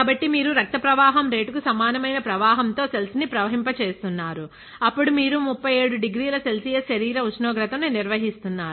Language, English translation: Telugu, So, you are flowing it at the flow rate which is equivalent to the flow rate of blood; then you are maintaining the inside body temperature which is 37 degree Celsius